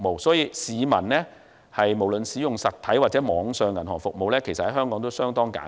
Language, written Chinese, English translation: Cantonese, 所以，香港市民無論使用實體或網上銀行服務，都相當簡便。, Therefore Hong Kong people can use both physical and online banking services easily